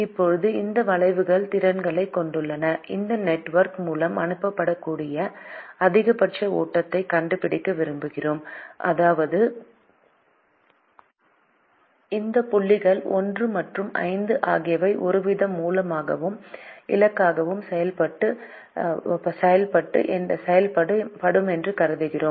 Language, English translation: Tamil, we want to find out the maximum flow that can be sent through this network, which means we will assume that these points, one and five, will act as some kind of a source and destination